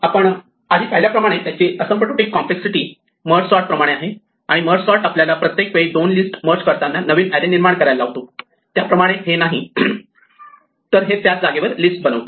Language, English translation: Marathi, It has same as asymptotic complexity as merge sort we saw before and unlike merge sort which forced us to create a new array everytime we merge two lists, this is actually creating a list in place